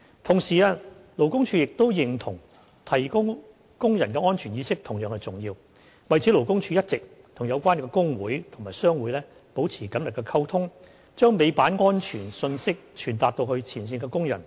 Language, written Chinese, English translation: Cantonese, 同時，勞工處認同提高工人的安全意識同樣重要，為此勞工處一直與有關工會及商會保持緊密溝通，將尾板安全信息傳達至前線工人。, Meanwhile LD agrees that enhancing the safety awareness of workers is equally important . In this regard LD has been maintaining close contact with relevant workers unions and trade associations and conveying through these organizations the relevant safety messages to their frontline workers